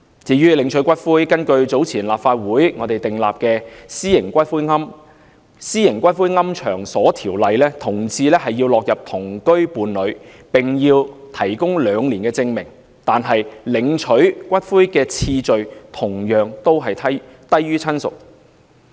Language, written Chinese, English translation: Cantonese, 至於領取骨灰，根據早前立法會訂立的《私營骨灰安置所條例》，同志屬於同居伴侶關係，要提供兩年證明，但領回骨灰的次序同樣低於親屬。, As for the collection of cremated ashes according to the Private Columbaria Ordinance enacted earlier by the Legislative Council homosexual partners in cohabitation relationship are required to provide proof of two years of cohabitation but their priority for collecting cremated ashes is also lower than that given to relatives